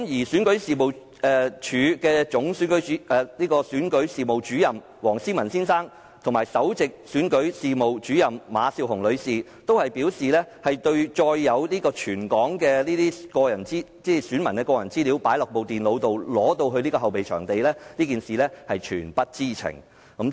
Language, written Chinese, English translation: Cantonese, 選舉事務處總選舉事務主任黃思文先生和首席選舉事務主任馬笑虹女士均表示，對載有全港選民個人資料的電腦被帶到後備場地一事全不知情。, Mr WONG See - man Chief Electoral Officer and Miss Candy MA Principal Electoral Officer both said they did not know that the computers containing the personal particulars of all the electors in Hong Kong were brought to the fallback venue